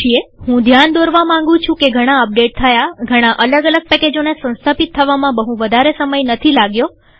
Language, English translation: Gujarati, I just want to point out that many of the updates took, many of the installations of individual packages didnt take very much time